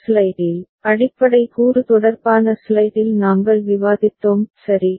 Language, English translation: Tamil, That we discussed in the first slide, in the basic component related slide right